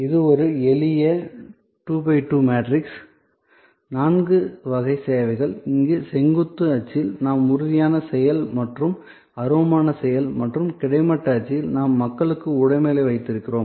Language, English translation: Tamil, This is a simple 2 by 2 matrix, four categories of services, on the vertical axis here we have tangible action and intangible action and on the horizontal axis, we have people and possession